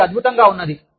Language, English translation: Telugu, It is wonderful